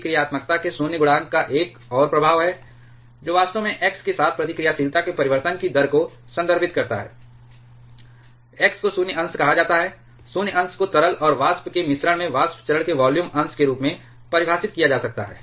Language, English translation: Hindi, There is another effect the void coefficient of reactivity, which actually refers to the rate of change of reactivity with x, x is called void fraction, void fraction can be defined as the volume fraction of the vapor phase in a mixture of liquid and vapor